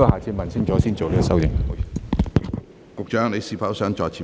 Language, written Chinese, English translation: Cantonese, 食物及衞生局局長，你是否想再次發言？, Secretary for Food and Health do you wish to speak again?